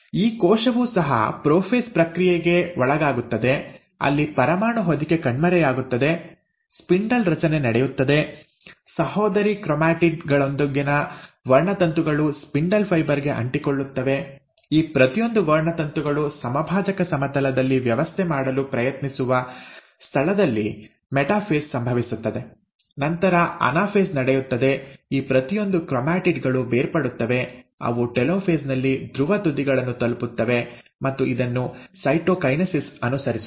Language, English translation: Kannada, This cell also undergoes the process of prophase, where the nuclear envelope disappears, spindle formation takes place, the chromosomes with the sister chromatids is attaching to the spindle fibre; then the metaphase happens where each of these chromosomes try to arrange at the equatorial plane, followed by anaphase, at which each of these chromatids will separate, they will reach the polar ends in the telophase, and this will be then followed by cytokinesis